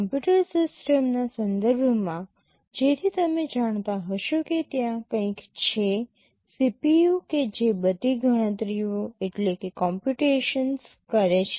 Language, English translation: Gujarati, With respect to a computer system, so you may know that there is something called CPU that carries out all computations or calculations